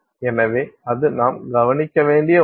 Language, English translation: Tamil, So, that is something that we need to look at